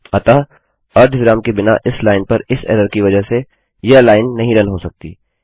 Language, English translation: Hindi, So because of this error on this line without the semicolon, this line cannot run